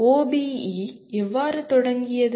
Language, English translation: Tamil, How did OBE start